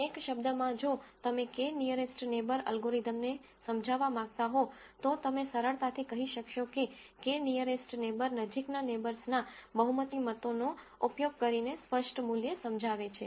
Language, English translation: Gujarati, In one word if you were to explain k nearest neighbor algorithm, you would simply say k nearest neighbor explains the categorical value, using the majority votes of nearest neighbors